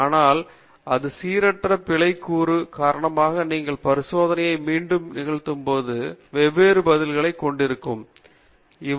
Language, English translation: Tamil, But, because of this random error component you are having different responses when you repeat the experiments